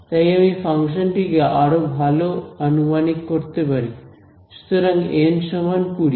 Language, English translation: Bengali, So, I am able to approximate the function better and this was so N is equal to twenty